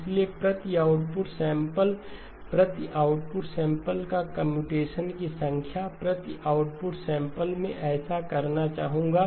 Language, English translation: Hindi, So number of computations per output sample, computations per output sample